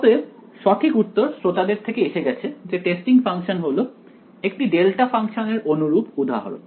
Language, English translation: Bengali, So, the correct answer has come from the audience that the testing function was the analogue of a delta function ok